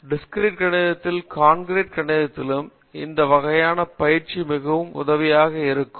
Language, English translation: Tamil, These types of training in Discrete Mathematics and Concrete Mathematics would be very helpful